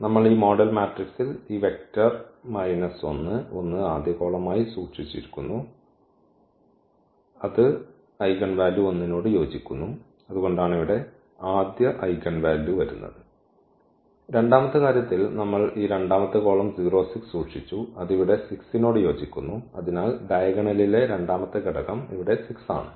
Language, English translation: Malayalam, So, we have kept in our model matrix this, these vector minus 1 as the first column, and that was corresponding to the eigenvalue 1 and that is the reason here this first eigenvalue is coming and in the second case we have kept this second column which was corresponding to the 6 here and therefore, the second element in the diagonal is 6 here